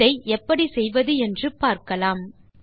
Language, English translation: Tamil, Let us see how to accomplish this